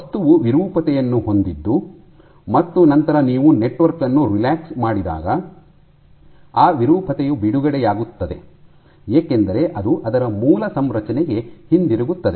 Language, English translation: Kannada, So, you will have deformation and then that deformation will be released when you relax the network it will go back to it is original configuration